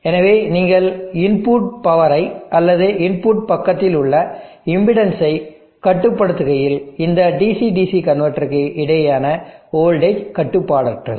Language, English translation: Tamil, So as you are controlling the input power or the impotency at the input site, the voltage across the f this DC DC convertor, is uncontrolled